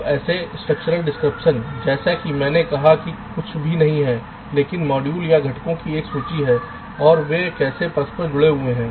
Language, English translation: Hindi, ok, now such a structural description is, as i said, nothing but a list of modules or components and how their interconnected